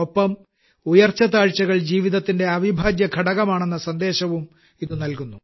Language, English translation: Malayalam, Along with this, the message has also been conveyed that ups and downs are an integral part of life